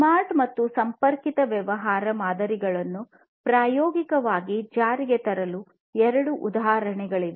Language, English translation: Kannada, So, these are the two examples of smart and connected business models being implemented in practice